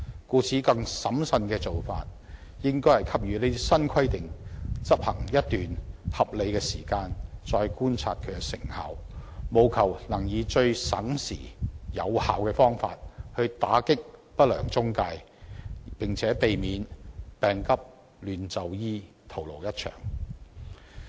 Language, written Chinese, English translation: Cantonese, 故此，更審慎的做法應該是讓新規定執行一段合理時間後，才再觀察其成效，務求能以最省時、有效的方法打擊不良中介公司，並且避免病急亂投醫，徒勞一場。, Hence a more prudent approach should be to observe their effectiveness after the new requirements have been implemented for a reasonable period of time with a view to combating the unscrupulous intermediaries by the least time - consuming and most effective means as well as avoiding administering medication indiscriminately because of haste and ending in naught